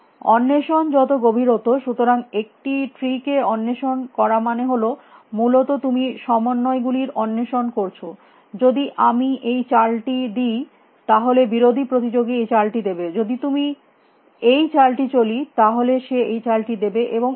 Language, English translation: Bengali, The deeper the explore it so, exploring a tree basically means you make you explore combinations if I make this move then the opponent will make this move then I will make this move then the opponent will make this move and so on